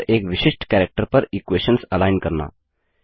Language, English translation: Hindi, Align the equations at the equal to character